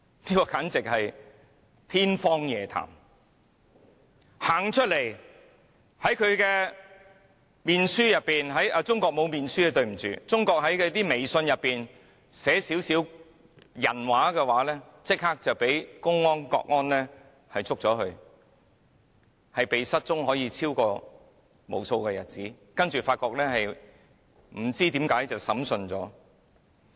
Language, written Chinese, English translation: Cantonese, 只要有人走出來，或在臉書——對不起，中國沒有臉書——在微信上寫一些"人話"，立刻會被公安、國安拘捕，可以被失蹤無數日子，然後不知何故，便已經被審訊了。, As soon as someone came forward or wrote some humane remarks on Facebook―sorry Facebook is barred in China―on WeChat he would be arrested by the public security officers or national security officers . He could be forced to disappear for days and then for some unknown reasons he could have already undergone a trial . Let us not talk about cases which took place far away